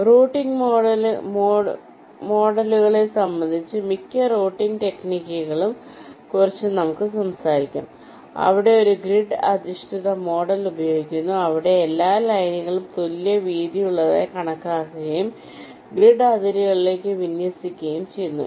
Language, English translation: Malayalam, ok, and regarding routing models, well, most of ah, the routing techniques we shall talk about, they use a grid based model where all the lines are considered to be of equal with and they are aligned to grid boundaries, like this